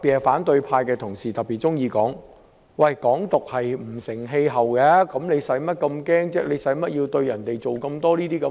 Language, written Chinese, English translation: Cantonese, 反對派同事特別喜歡說，"港獨"不成氣候，用不着這麼害怕，用不着小題大做。, Colleagues of the opposition camp are particularly fond of saying that Hong Kong independence is not getting anywhere; there is nothing to be afraid of and we need not make a great fuss over a trifling matter